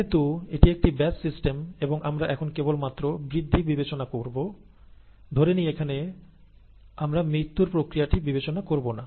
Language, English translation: Bengali, Since this is a batch system, and we are going to consider only the growth now, let us not consider the death process here and so on and so forth, we will consider till somewhere here